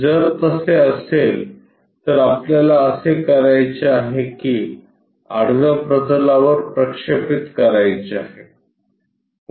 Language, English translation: Marathi, If, that is the case what we have to do project that onto horizontal plane